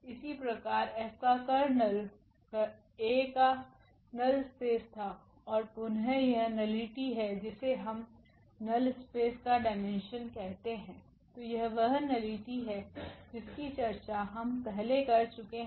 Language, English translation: Hindi, Similarly, the kernel A was null space of A and here again this nullity which we call the dimension of the null space, so that is the nullity which we have discussed already before